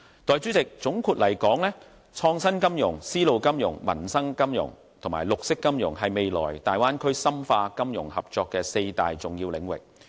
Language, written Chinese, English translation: Cantonese, 代理主席，總括而言，創新金融、絲路金融、民生金融和綠色金融是未來大灣區深化金融合作的四大重要領域。, Deputy President all in all innovative finance silk road finance livelihood finance and green finance will be the four major areas to deepen the future financial cooperation in the Bay Area